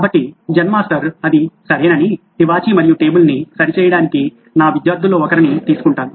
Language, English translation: Telugu, So Zen Master said it’s okay, I will get one of my students to fix the carpet and the table